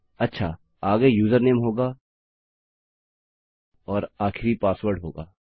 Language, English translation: Hindi, Okay, next one will be the user name and last one is going to be the password